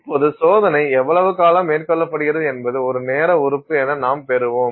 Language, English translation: Tamil, Now, how long the test is carried out is something that we will get as a time element, right